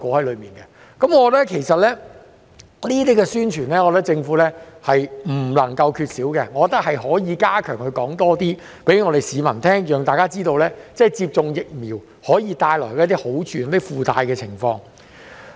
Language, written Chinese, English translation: Cantonese, 其實，我覺得政府在這方面的宣傳是不能夠缺少的，政府可以加強向市民宣傳，讓大家知道接種疫苗可以帶來一些好處及附帶的情況。, In fact I think that the Governments publicity in this respect is indispensable . It can step up publicity to inform members of the public that vaccination can bring about benefits and incidental consequence